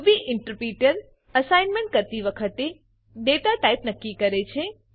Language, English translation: Gujarati, Ruby interpreter determines the data type at the time of assignment